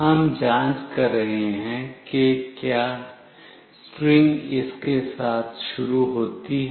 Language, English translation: Hindi, We are checking if the string starts with this